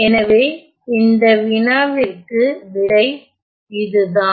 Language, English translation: Tamil, So, that is the answer for to this problem